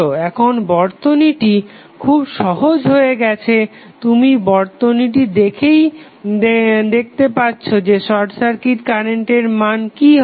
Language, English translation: Bengali, Now, it has become very simple which you can see simply from the circuit itself that what would be the value of short circuit current